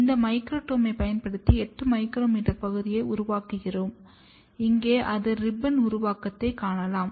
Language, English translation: Tamil, We make a 8 micrometer section using this microtome, here you can see the ribbons are formed